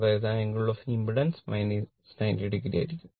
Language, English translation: Malayalam, That is angle of impedance will be minus 90 degree